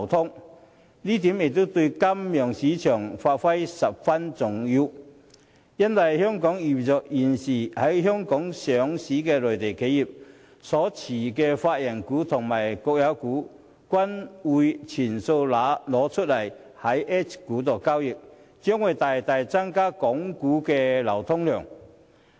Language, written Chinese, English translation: Cantonese, 這一點對金融市場發展十分重要，因為現時在香港上市的內地企業所持有的法人股和國有股均會全數以 H 股交易，港股的流通量將會大大增加。, It will greatly increase the liquidity of Hong Kong stock market as all the legal person shares and state shares held by the Mainland enterprises listed in Hong Kong will then be available for public investors in the form of H - shares